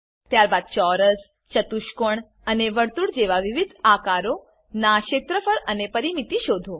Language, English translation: Gujarati, Then find the area and perimeter of various shapes like square, rectangle and circle